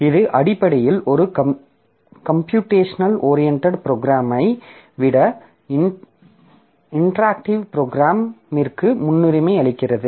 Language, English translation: Tamil, So, this is basically giving a priority to a time interactive program than a computation oriented program